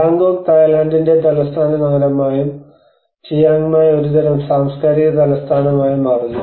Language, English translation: Malayalam, And the Bangkok becomes a capital city of the Thailand and Chiang Mai becomes a kind of cultural capital